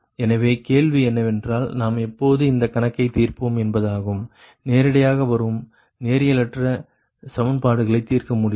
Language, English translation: Tamil, so question is that that when we will solve this problem, when we will this problem ah, it is non linear, equations will come directly cannot be solved, right